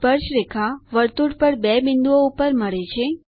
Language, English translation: Gujarati, Tangents meet at two points on the circle